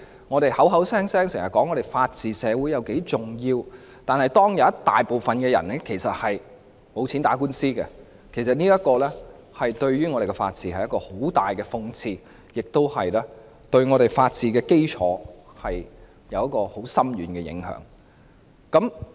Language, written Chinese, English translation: Cantonese, 我們經常說香港是法治社會，這一點很重要，但當大部分人沒錢打官司，其實對本港的法治是很大的諷刺，對法治基礎亦有很深遠的影響。, We often say that Hong Kong upholds the rule of law which is very important but when the majority of people cannot afford to institute legal proceedings it is a great irony of the rule of law and has a profound impact on the foundation of the rule of law